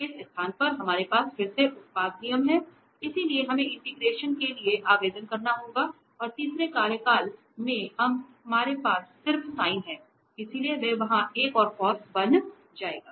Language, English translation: Hindi, So, at this place, we have again the product rule, so we have to apply for integration and in the third term we have just the sin so, that will become another cos there